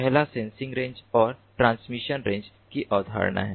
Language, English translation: Hindi, the first is the concept of sensing range and transmission range